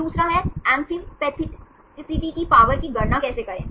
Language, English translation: Hindi, Then the second is, how to calculate the power of amphipathicity